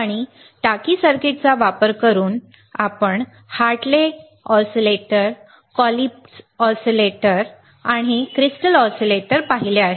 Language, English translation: Marathi, And using tank circuit, we have constructed a Hartley, we have constructed the Colpitts oscillator, then we have seen the crystal oscillators